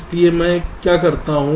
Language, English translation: Hindi, so what i do